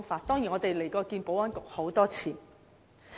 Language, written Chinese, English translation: Cantonese, 當然，我們也到過保安局多次。, Of course we have also been to the Security Bureau many times